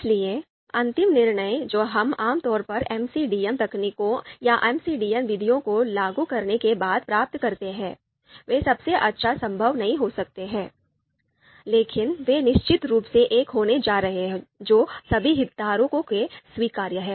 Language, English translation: Hindi, So the final decision that we typically get after applying MCDM techniques MCDM methods, they may not be the best possible one, but they are of course going to be one that is acceptable to all the stakeholders